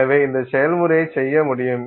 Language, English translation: Tamil, And so this process you can do